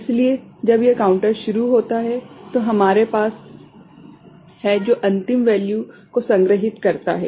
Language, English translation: Hindi, So, when it begins the counter that we have with us which stores the final value